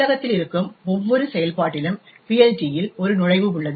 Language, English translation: Tamil, Each function present in the library has an entry in the PLT